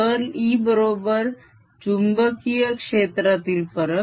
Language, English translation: Marathi, curl of e is minus change in the magnetic field